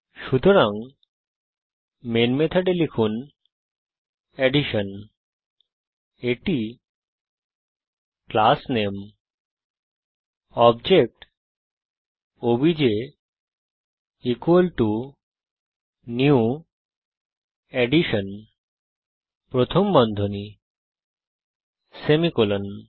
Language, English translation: Bengali, So in the Main method type Addition i.e the class name obj is equalto new Addition parentheses semicolon